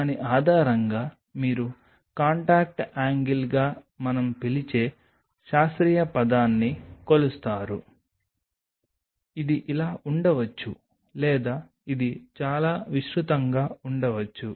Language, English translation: Telugu, So, based on that you measure the scientific term what we call as the contact angle maybe like this it maybe like this or it may be very broad like this